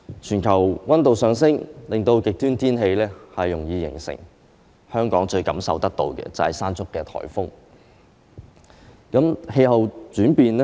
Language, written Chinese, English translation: Cantonese, 全球氣溫上升，令極端天氣容易形成，香港感受最深刻的，就是颱風"山竹"。, The rise in global temperature has contributed to more frequent extreme weather . What struck Hong Kong the most was the onslaught of Typhoon Mangkhut